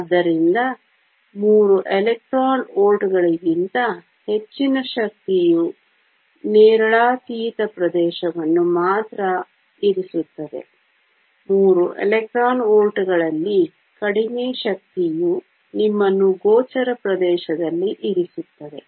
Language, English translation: Kannada, So, any energy greater than 3 electron volts puts only ultraviolet region; energy less in 3 electron volts puts you in the visible region